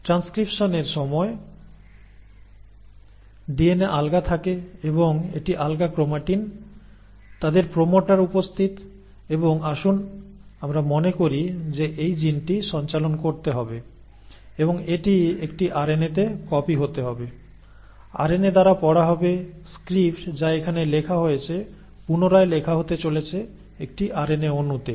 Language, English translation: Bengali, So at the time of transcription the DNA is loose and it is loose chromatin, their promoter is present and let us say this gene has to pass on and it has to be copied into an RNA, read by the RNA, so the script which is written here is going to be rewritten into an RNA molecule